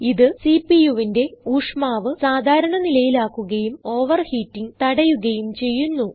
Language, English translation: Malayalam, It keeps the temperature of the CPU normal and prevents overheating